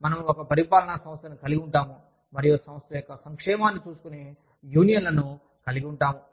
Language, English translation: Telugu, We will have, an administrative body, and we will have unions, who are looking after the welfare, of the organization